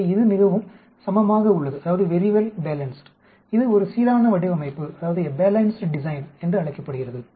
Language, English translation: Tamil, So it is very well balanced this called a balanced design